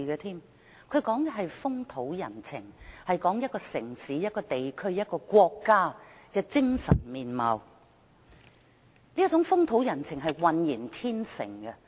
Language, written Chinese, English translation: Cantonese, 他說的是風土人情，是一個城市、一個地區、一個國家的精神面貌，而這種風土人情是渾然天成的。, What he means is the social customs as well as the values and features of a city a region and a country and such customs are completely natural